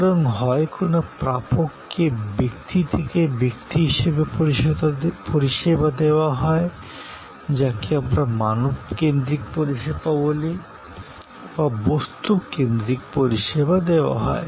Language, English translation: Bengali, So, either services offered to the recipient as a person to person, service or what we call people focused service or it could be object focused service